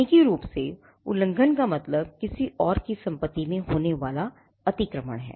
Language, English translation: Hindi, Infringement technically means trespass is getting into the property of someone else